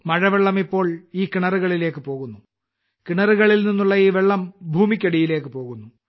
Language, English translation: Malayalam, Rain water now flows into these wells, and from the wells, the water enters the ground